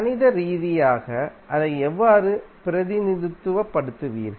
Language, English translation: Tamil, How you will represent it mathematically